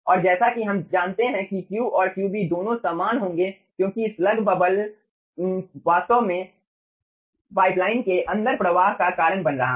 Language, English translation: Hindi, okay, and as we know that q and qb, ah, both will be same because the slug bubble is actually causing the flow inside the pipeline